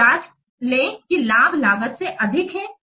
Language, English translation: Hindi, then check that benefits are greater than cost